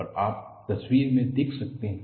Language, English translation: Hindi, And you can see that in the picture